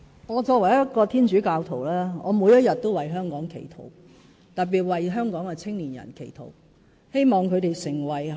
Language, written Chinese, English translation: Cantonese, 我作為一名天主教徒，我每天都為香港祈禱，特別為香港的青年人祈禱。, As a Catholic I pray for Hong Kong every day especially for young people in Hong Kong